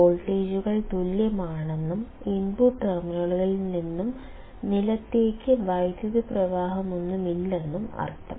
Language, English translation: Malayalam, In the sense that the voltages are same and no current flows from the input terminals to the ground